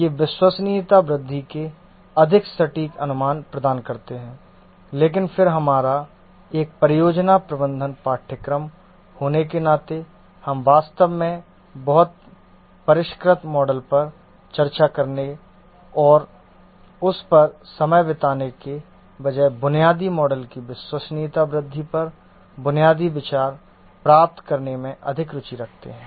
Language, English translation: Hindi, These provide more accurate approximations of the reliability growth but then ours being a project management course we are more interested in getting the basic ideas on the reliability growth, the basic models rather than really discussing very sophisticated models and spending time on that